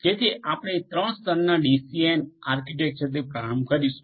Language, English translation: Gujarati, So, we will start with the 3 tier, 3 tier DCN architecture